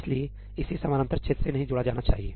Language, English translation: Hindi, That is why it should not be associated with the parallel region